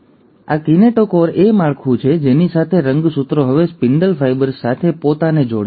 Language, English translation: Gujarati, So this is the kinetochore structure with which the chromosomes will now attach themselves to the spindle fibres